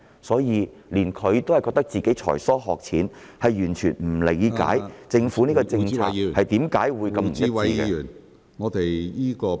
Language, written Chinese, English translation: Cantonese, 所以，他也自覺才疏學淺，完全不能理解政府的政策何以會如此的不一致。, He therefore said that he was being not smart enough to fully understand why the policies adopted by the Government can be so inconsistent